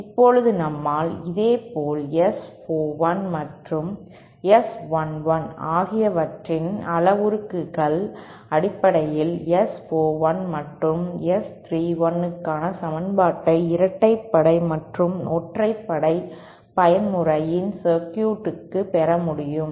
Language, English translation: Tamil, Now we can similarly derived the condition the equation for S 41 and S 31 in terms of the S 41 and S11 parameters for the even and odd mode circuits